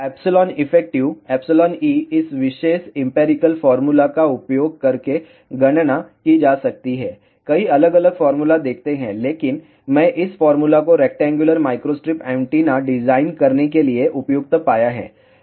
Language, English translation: Hindi, Epsilon effective can be calculated using this particular empirical formula, there are many different formulas are there, but I have found this formula to be best suited for designing rectangular microstrip antenna